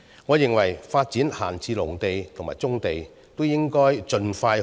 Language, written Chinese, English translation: Cantonese, 我認為，發展閒置農地和棕地，都應該要盡快進行。, I hold that both idle agricultural land and brownfield sites should be developed as soon as possible